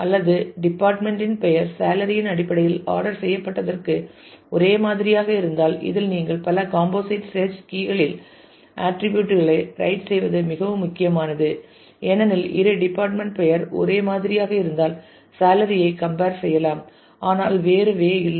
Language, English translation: Tamil, Or if the department name is same then they are ordered in terms of salary this ordering in which you write the attributes in the multi composite search key is very important because you can see that for the two if the department name is same then the salary will be compared, but not the other way around